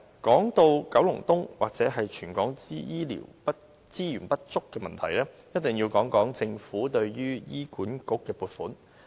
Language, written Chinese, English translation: Cantonese, 說到九龍東或全港醫療資源不足的問題，一定要談談政府對醫院管理局的撥款。, When it comes to the problem of inadequate healthcare resources in Kowloon East or throughout the territory I must say a few words about the allocation of funds by the Government to the Hospital Authority HA